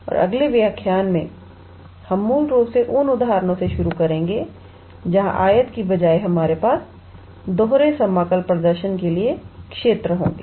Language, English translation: Hindi, And in the next lecture, we will basically start with the examples where instead of rectangle; we will have regions to perform the double integral